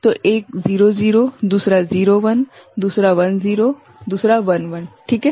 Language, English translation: Hindi, So, one could be 0 0, another 0 1, another 1 0, another 1 1 right